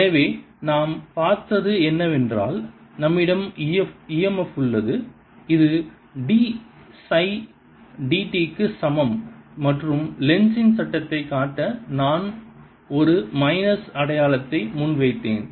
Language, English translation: Tamil, so what we have seen is that we have e m f, which is equal to d phi, d t, and to show the lenz's law, i put a minus sign in front